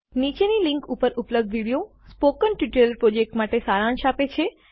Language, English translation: Gujarati, The video available at the following link summarises the Spoken Tutorial project